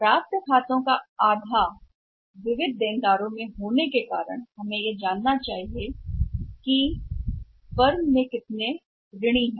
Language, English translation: Hindi, Half of the accounts receivable that because of sundry debtors so we should be knowing that how much sundry debtors are there in a firm